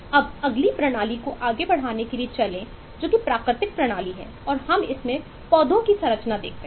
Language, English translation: Hindi, let’s uh move on to take up eh the next system, which is the natural system, and we look at the structure of plants